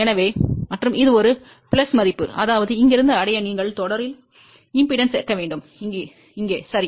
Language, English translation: Tamil, So, and this is a plus value; that means, you have to add inductance in series to reach from here to here ok